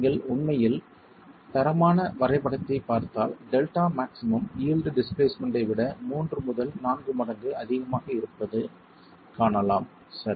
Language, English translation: Tamil, And if you actually qualitatively look at the graph, you can see that delta max is about three to four times the eel displacement